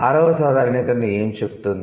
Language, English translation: Telugu, What is the sixth generalization